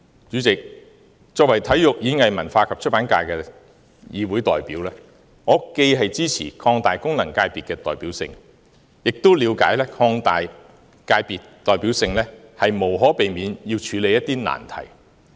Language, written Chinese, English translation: Cantonese, 主席，作為體育、演藝、文化及出版界的議會代表，我既支持擴大功能界別的代表性，亦了解擴大界別代表性，無可避免要處理一些難題。, President as the Member representing the Sports Performing Arts Culture and Publication FC I support increasing the representativeness of FCs and I understand that this initiative will necessarily involve addressing some difficult issues